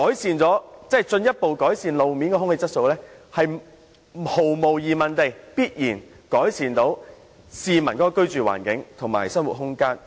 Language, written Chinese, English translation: Cantonese, 換言之，進一步改善路邊空氣質素，必然有助改善市民的居住環境和生活。, In this sense further improvement of roadside air quality will definitely help improve the living environment and the quality of life of residents